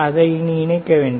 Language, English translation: Tamil, Do not just keep it connected